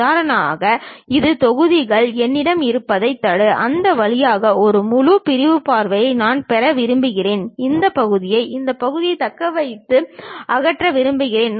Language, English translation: Tamil, For example, this is the blocks, block what I have; I would like to have a full sectional view passing through that, and this part I would like to retain and remove this part